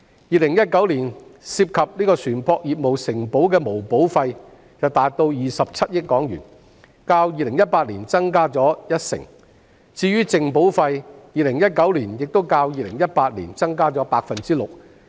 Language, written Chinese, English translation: Cantonese, 2019年涉及船舶業務承保的毛保費達27億港元，較2018年增加一成，至於淨保費 ，2019 年亦較2018年增加 6%。, In 2019 the gross premiums in shipping insurance amounted to HK2.7 billion 10 % higher than that in 2018 and the net premiums in 2019 were 6 % higher than that in 2018